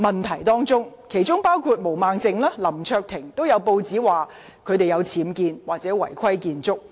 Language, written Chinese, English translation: Cantonese, 根據報章報道，毛孟靜議員及林卓廷議員也曾涉及僭建或違規建築。, According to the press Ms Claudia MO and Mr LAM Cheuk - ting have also been involved in UBWs or illegal structures